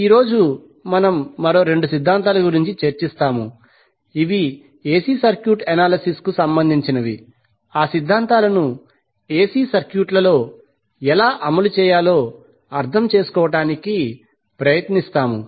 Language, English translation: Telugu, Today we will discuss about two more theorems which with respect to AC circuit analysis we will try to understand how we will implement those theorems in AC circuits